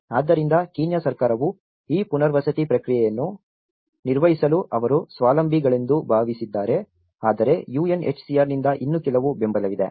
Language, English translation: Kannada, So, Kenyan Government have thought that they are self sufficient to manage this resettlement process but still there has been some support from the UNHCR